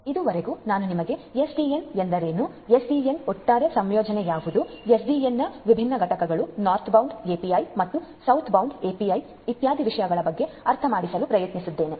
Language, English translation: Kannada, So, far what I have made you understand is what SDN is and what is the overall architecture of SDN, what are these different components of SDN, what are these different API is the northbound API and the southbound API and so on